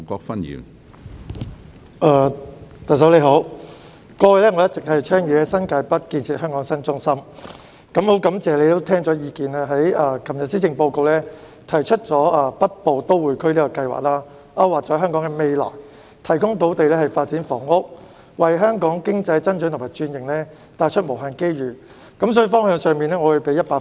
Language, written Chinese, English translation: Cantonese, 特首，過去我一直倡議在新界北建設香港新中心，很感謝你聽取意見，在昨天的施政報告中提出"北部都會區"這個計劃，勾劃了香港的未來，提供土地發展房屋，為香港經濟增長和轉型帶來無限機遇，所以在方向上，我會給你100分。, Chief Executive I have all along been advocating the development of a new central district in New Territories North . I greatly appreciate that you have listened to me and proposed in yesterdays Policy Address the development of the Northern Metropolis which maps out Hong Kongs future provides land for housing development and brings countless opportunities for Hong Kongs economic growth and transformation . I will thus give you full marks for heading in this direction